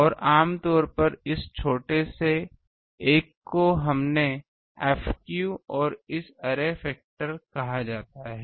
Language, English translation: Hindi, And generally this small one we called small f theta and this one array factor